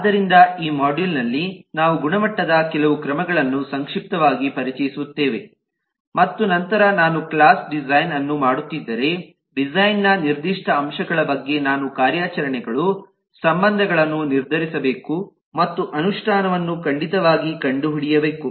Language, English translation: Kannada, so in this module we will briefly introduce some measures of quality and then, on the specific aspects of design, like if i am doing a class design, then i need to decide on the operations, the relationships and certainly find the implementation